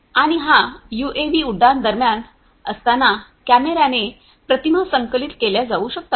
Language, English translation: Marathi, And, this UAV could be fitted with cameras to collect images while it is on flight